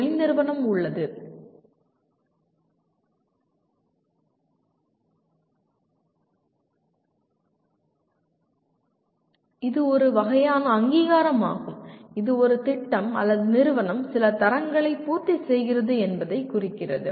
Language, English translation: Tamil, It is a kind of recognition which indicates that a program or institution fulfils certain standards